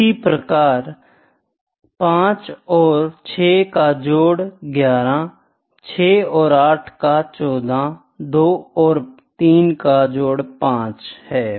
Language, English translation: Hindi, And, here also I can have the total 5 and 6 is 11 6 and 8 is 14 2 and 3 is 5